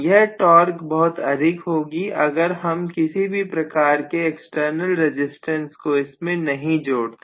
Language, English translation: Hindi, So the torque is going to be very high if I do not include any external resistance